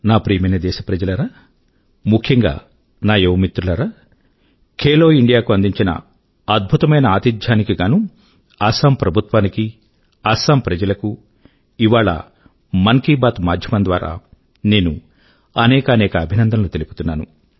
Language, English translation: Telugu, My dear countrymen and especially all my young friends, today, through the forum of 'Mann Ki Baat', I congratulate the Government and the people of Assam for being the excellent hosts of 'Khelo India'